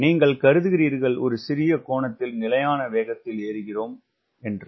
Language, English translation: Tamil, and you are assuming climb at a constant speed, right at a small angle